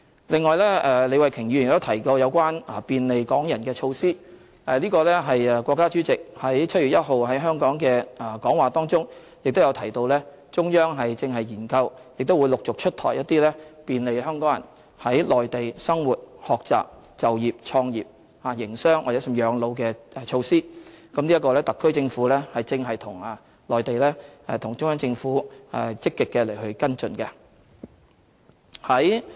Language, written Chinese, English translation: Cantonese, 李慧琼議員亦提及有關便利港人的措施，國家主席於7月1日在香港的致辭當中亦提到中央正研究和陸續出台一些便利港人在內地生活、學習、就業、創業、營商，甚至養老的措施，特區政府正與中央政府積極跟進。, Ms Starry LEE has also mentioned the implementation of measures to facilitate Hong Kong people . In his speech delivered in Hong Kong on 1 July the President of the State has indicated that the Central Authorities are exploring and gradually introducing measures to facilitate Hong Kong people to live study work start business do business and even spend their retired life in the Mainland . The SAR Government is actively following up the matter with the Central Government